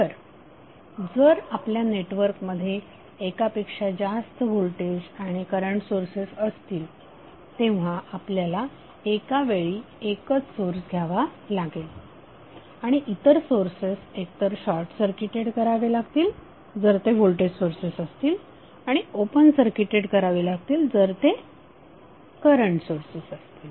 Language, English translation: Marathi, So if you have multiple voltage and current source in the network you will take one source at a time and other sources would be either short circuited if they are a voltage sources and the current source is would be open circuited